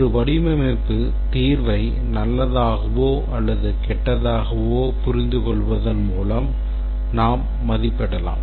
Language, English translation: Tamil, We can rate a design solution to be good or bad based on its understandability